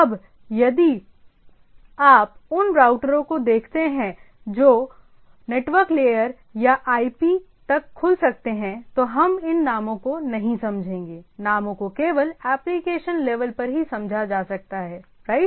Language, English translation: Hindi, Now on the other if you see the routers which can open up to or look up to network layer or IP, we’ll not understand this names right, names can be only understood at the application level right